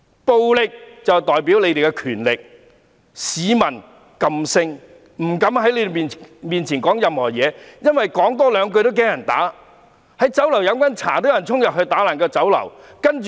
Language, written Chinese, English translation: Cantonese, 暴力代表他們的權力，市民噤聲，不敢在他們面前說任何話，因為害怕多說兩句也會被人毆打。, Violence is the symbol of their power . Members of the public have been silenced and they dare not talk about anything in front of these people because they are worried about being beaten up for talking too much